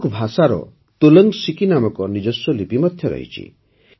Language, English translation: Odia, Kudukh language also has its own script, which is known as Tolang Siki